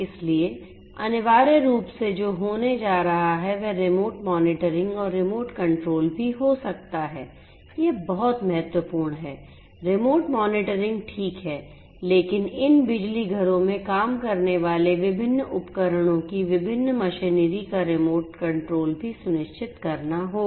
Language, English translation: Hindi, So, essentially what is going to happen is, we can also have remote monitoring and remote control this is very very important remote monitoring is fine, but remote control of the different machinery of the different equipments that are working in these power plants